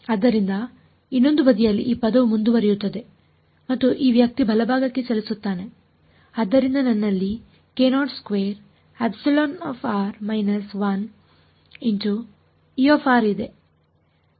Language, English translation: Kannada, So, the other side this term will continue to be there and this guy moves to the right hand side